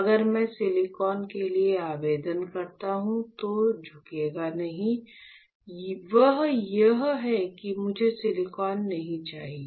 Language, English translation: Hindi, So, if I apply for silicon will not bend and that is why I do not want silicon